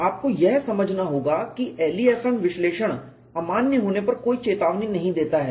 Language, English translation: Hindi, You have to understand the LEFM analysis gives no warning when it becomes invalid